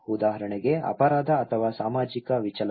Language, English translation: Kannada, For example; crime or social deviance